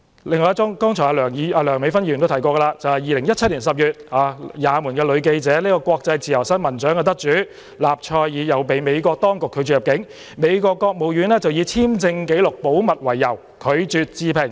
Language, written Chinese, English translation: Cantonese, 另一宗個案，梁美芬議員剛才也提到 ，2017 年10月，也門女記者、國際自由新聞獎得主納賽爾被美國當局拒絕入境，美國國務院以簽證紀錄保密為由，拒絕置評。, In another case which Dr Priscilla LEUNG has also mentioned just now in October 2017 Yemeni female journalist Afrah NASSER winner of the International Press Freedom Award was denied entry by the authorities of the United States and the United States Department of State refused to give any comments on the grounds that visa records must be kept confidential